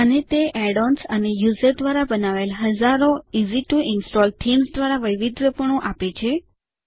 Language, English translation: Gujarati, And it offers customization by ways of add ons and thousands of easy to install themes created by users